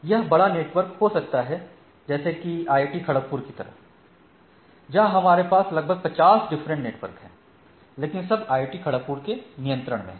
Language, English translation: Hindi, It may be large network; like in IIT Kharagpur, we have say around 50 odd networks under, but under the control of IIT Kharagpur itself